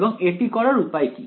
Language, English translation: Bengali, And what would be the way to do it